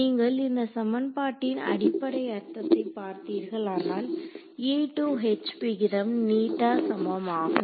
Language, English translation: Tamil, if you look at the basic meaning of this equation is that the ratio of E to H should be eta that is all